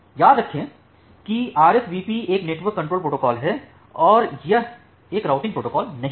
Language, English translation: Hindi, Remember that RSVP is a network control protocol and it is not a routing protocol